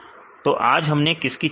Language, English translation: Hindi, So, what we discussed today